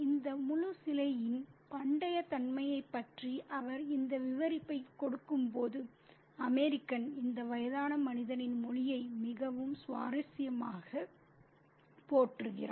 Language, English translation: Tamil, While he gives this narrative about the ancient nature of this horse statue, the American very interestingly admires the language of this old old man Muni